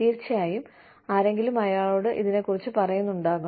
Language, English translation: Malayalam, And somebody, of course, must be briefing him